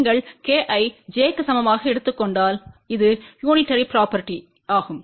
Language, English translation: Tamil, If you take k equal to j this becomes unitary property